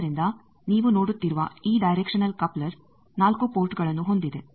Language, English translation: Kannada, So, this directional coupler you see it has 4 ports